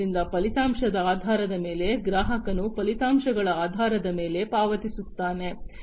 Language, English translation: Kannada, So, based on the outcome, the customer pays based on the outcomes